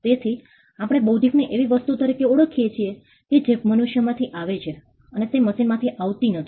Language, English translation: Gujarati, So, we distinguish intellectual as something that comes from human being, and not something that comes from machines